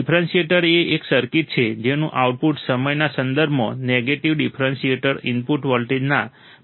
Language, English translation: Gujarati, The differentiator is a circuit whose output is proportional to negative differential input voltage with respect to time